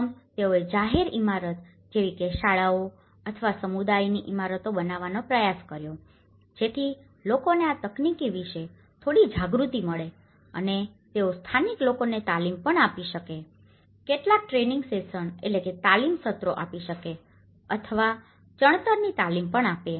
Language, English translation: Gujarati, First, they did was, they tried to construct the public buildings like schools or the community buildings so that people get some awareness of this technology and they could also train the local people, they could also train, give some training sessions or the masonry training sessions to the local people so that it can be spread out to the other places as well